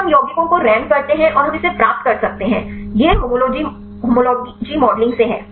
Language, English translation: Hindi, Then we rank the compounds and we can get that; that is from the homology modeling